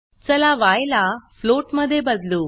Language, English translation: Marathi, Let us change y to a float